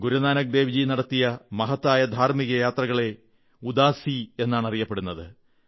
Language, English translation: Malayalam, Guru Nanak Ji undertook many significant spiritual journeys called 'Udaasi'